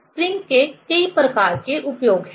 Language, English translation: Hindi, There are many kind of applications of spring